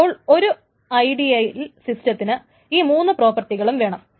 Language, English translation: Malayalam, So essentially we want the ideal system should have all these three properties